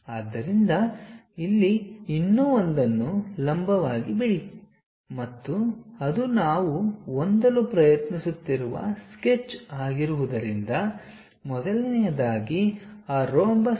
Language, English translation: Kannada, So, here drop one more perpendicular and because it is a sketch what we are trying to have, first of all construct that rhombus